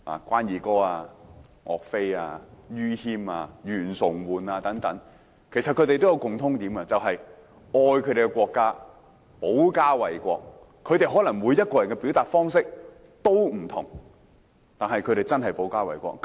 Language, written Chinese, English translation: Cantonese, 關羽、岳飛、于謙、袁崇煥等都有一個共通點，就是愛自己的國家，致力保家衞國，他們每一個人的表達方式都可能有不同，但卻真的做到保家衞國。, GUAN Yu YUE Fei YU Qian YUAN Chong - huan and others had one thing in common they loved their own country and sought to protect their home and country . Their ways of expression might be different from one another but they did really protect their home and country